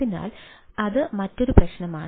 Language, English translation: Malayalam, right, so that is another problem